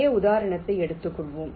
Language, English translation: Tamil, lets take this same example